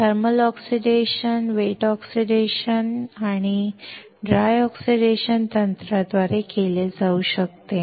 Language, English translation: Marathi, Thermal oxidation can be done by wet oxidation technique and dry oxidation technique